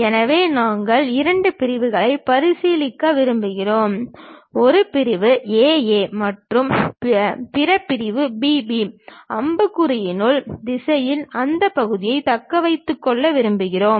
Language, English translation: Tamil, So, we would like to consider two sections; one section A A and other section B B; in the direction of arrow we would like to retain that part